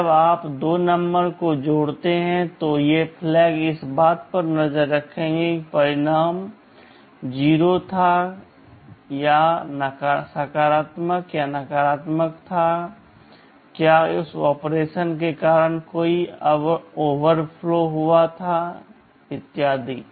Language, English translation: Hindi, When you add two numbers these flags will keep track of the fact whether the result was 0, whether the result was positive or negative, whether there was an overflow that took place because of that operation, etc